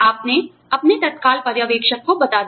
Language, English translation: Hindi, You have let your immediate supervisor, know